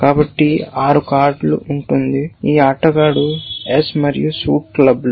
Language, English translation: Telugu, So, there would be 6 card, this player is S and suit is clubs